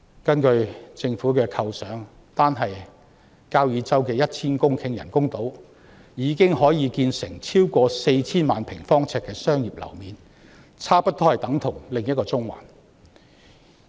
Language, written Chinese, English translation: Cantonese, 根據政府的構想，單是交椅洲的 1,000 公頃人工島已經可以建成超過 4,000 萬平方呎的商業樓面，差不多等同另一個中環。, According to the Governments vision the 1 000 - hectare artificial island on Kau Yi Chau alone can already provide over 40 million sq ft of commercial floor space almost equal to another Central